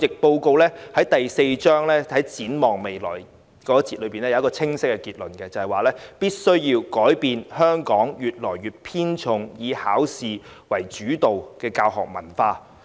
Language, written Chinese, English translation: Cantonese, 報告第四章題為"展望未來"，當中有清晰結論，認為必須改變香港偏重"考試主導"的文化。, The Report made a clear conclusion in Chapter 4 entitled Looking Ahead that the examination - oriented culture must be changed